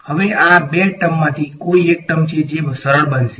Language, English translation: Gujarati, Now of these two terms is there any one term that gets simplified